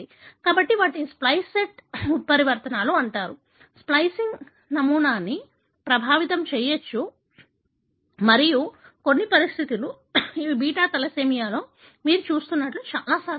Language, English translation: Telugu, So, these are called as splice site mutations; can affect the splicing pattern and in certain conditions these are very common like what you see in beta thalassemia